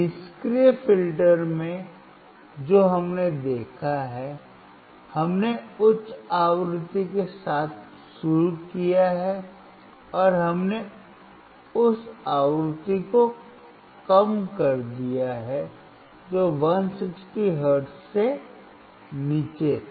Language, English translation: Hindi, In the passive filter, what we have seen, we started with the high frequency, and we reduced down to the frequency which was below 160 hertz